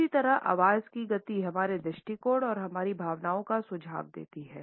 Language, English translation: Hindi, In the same way the speed of voice suggests our attitudes and our feelings